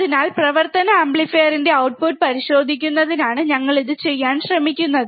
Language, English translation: Malayalam, So, that is what we are trying to do, of checking the output of the operational amplifier